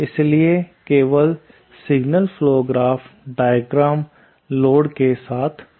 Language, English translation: Hindi, So, the signal flow graph diagram with just the load will be